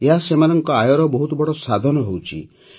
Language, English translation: Odia, This is becoming a big source of income for them